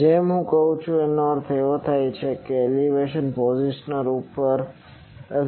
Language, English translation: Gujarati, Now, as I saying that, this means azimuth over elevation positioner